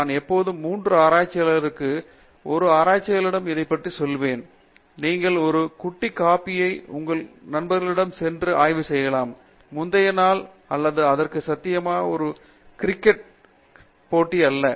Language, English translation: Tamil, I would always tell this for a research scholar you need to have 3 qualities okay, you should be able to go for a cup of coffee with your friends and discuss research, not a cricket match that has happen possible the previous day or so